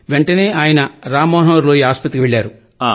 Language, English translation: Telugu, Feeling a health problem, He went to Ram Manohar Lohiya hospital